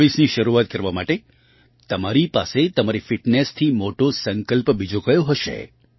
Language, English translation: Gujarati, What could be a bigger resolve than your own fitness to start 2024